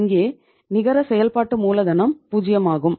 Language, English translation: Tamil, And here the net working capital is zero